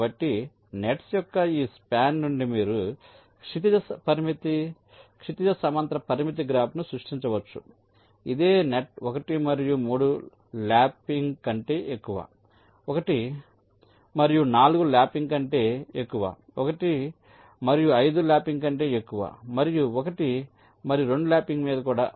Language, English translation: Telugu, so you see, from these span of the nets you can create the horizontal constraint graph which will tell net one and three are over lapping, one and four are over lapping, one and five are over lapping, and so on